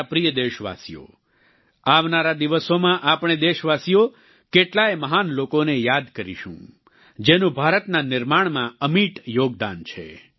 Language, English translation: Gujarati, My dear countrymen, in the coming days, we countrymen will remember many great personalities who have made an indelible contribution in the making of India